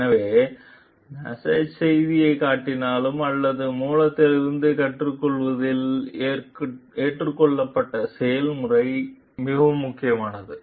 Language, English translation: Tamil, So, the process adopted in learning from that source is more important rather than the massage message itself